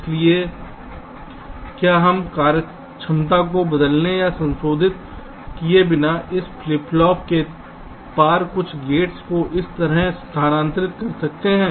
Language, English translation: Hindi, so can we move some of the gates across this flip pop to this side without changing or modifying the functionality